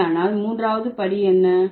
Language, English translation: Tamil, Then what is the third step